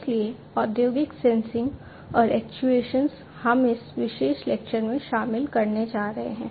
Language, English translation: Hindi, So, industrial sensing and actuation is what we are going to cover in this particular lecture